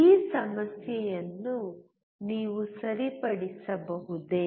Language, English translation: Kannada, Can you rectify this problem